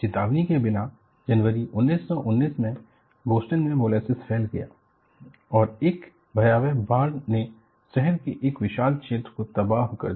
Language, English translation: Hindi, Without warning, in January 1919, molasses surged over Boston and a frightful flood devastated a vast area of the city